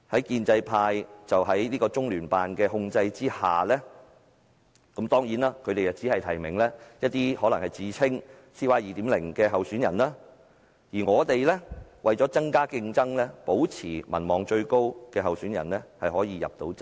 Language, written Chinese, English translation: Cantonese, 建制派在中聯辦的控制下，當然只能夠提名一些自稱 "CY 2.0" 的候選人，而我們為了增加競爭，便要保障民望最高的候選人可以入閘。, Under the control of LOCPG the pro - establishment camp can only nominate candidates who claim to be CY 2.0 so in order to increase competition we have to make sure that the candidate with the highest popularity can enter the race